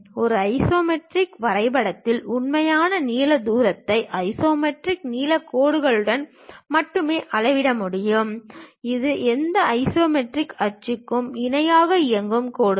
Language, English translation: Tamil, In an isometric drawing, true length distance can only be measured along isometric lengths lines; that is lines that run parallel to any of the isometric axis